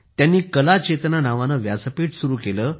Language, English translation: Marathi, He created a platform by the name of 'Kala Chetna'